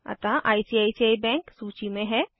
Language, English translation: Hindi, So ICICI bank is listed